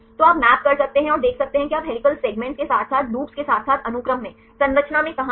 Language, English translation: Hindi, So, you can map and see where you are the helical segments strands as well as the loops, in the sequence as well as in the structure